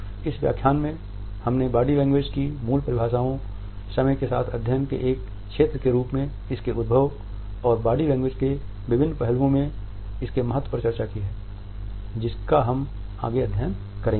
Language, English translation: Hindi, So, in this lecture we have discussed the basic definitions of body language, the emergence of body language as a field of a study over the passage of time, it is significance in the scope and different aspects of body language, which we would study